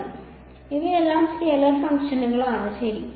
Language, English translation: Malayalam, So, all of these are scalar functions ok